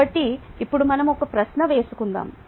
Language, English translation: Telugu, ok, so now let us ask a question